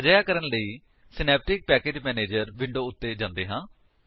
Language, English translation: Punjabi, To do this, let us switch to Synaptic Package Manager window